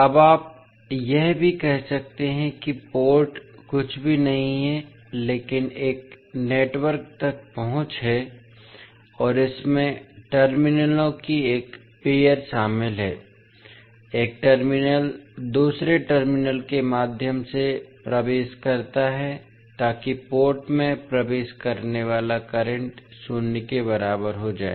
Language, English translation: Hindi, Now, you can also say that the port is nothing but an access to a network and consists of a pair of terminal, the current entering one terminal leaves through the other terminal so that the current entering the port will be equal to zero